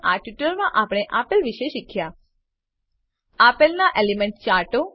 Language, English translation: Gujarati, In this tutorial, we have learnt about Elemental Charts of 1